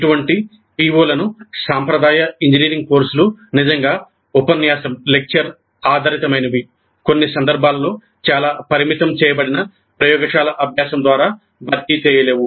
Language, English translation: Telugu, And such POs cannot be really addressed by the traditional engineering courses which are essentially lecture based, probably supplemented in some cases by a very restricted laboratory practice